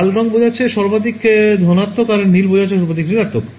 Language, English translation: Bengali, So, red will correspond to maximum positive blue will correspond to maximum negative right